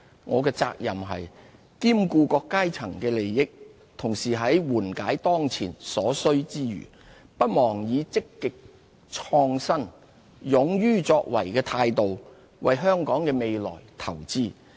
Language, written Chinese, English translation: Cantonese, 我的責任是兼顧各階層的利益，同時在緩解當前所需之餘，不忘以積極創新、勇於作為的態度，為香港的未來投資。, It is my responsibility to take care of various sectors of the community . While addressing the pressing needs I must also be proactive innovative and bold in investing for the future of Hong Kong